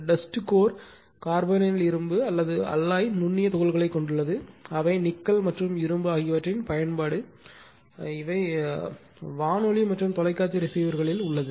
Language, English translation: Tamil, Dust core consists of fine particles of carbonyl iron or your call permalloy that is your nickel and iron application radio and television receivers, right